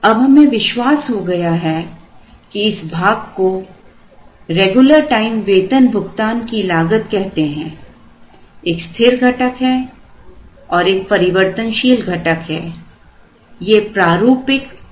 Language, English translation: Hindi, Now, we have realized that this portion is called regular time payroll cost, there is a fixed cost and a variable cost, this is the typical inventory cost